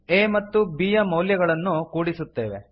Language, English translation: Kannada, Then we add the values of a and b